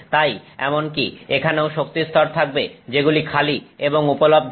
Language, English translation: Bengali, So, even here there are energy levels that are vacant and available